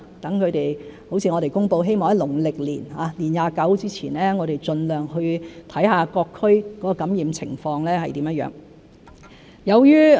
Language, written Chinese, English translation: Cantonese, 正如我們公布，希望能在農曆年年二十九之前，盡量去看看各區的感染情況如何。, As we have just announced we hope to visit various districts as far as possible to gauge the infection situation before the 29 day of the twelfth month of the lunar calendar